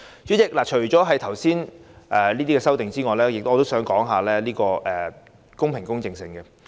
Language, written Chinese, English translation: Cantonese, 主席，除了上述修訂外，我想談談選舉的公平公正性。, President after speaking on the aforesaid amendments I would like to turn to discuss the fairness issue of election